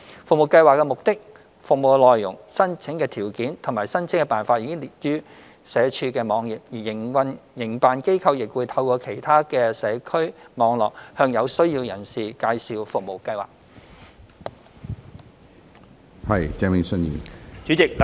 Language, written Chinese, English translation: Cantonese, 服務計劃的目的、服務內容、申請條件及申請辦法已列於社署網頁，而營辦機構亦會透過其社區網絡，向有需要人士介紹服務計劃。, The objective description eligibility criteria and application procedures of STFASPs are available on SWDs website . Operators also promote STFASPs to people in need through their community networks